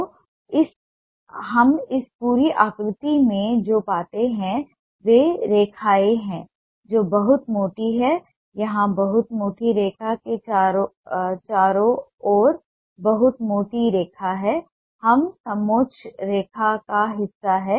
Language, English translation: Hindi, so what we find in this whole shape are lines which are very thick, a very thick line here, round a very thick patch